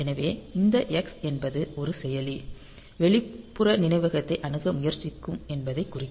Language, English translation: Tamil, So, this x; so, this will mark that a processor should is trying to access the external memory